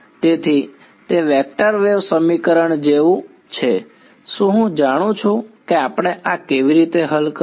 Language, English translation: Gujarati, So, its like a vector wave equation do I know how to solve this we do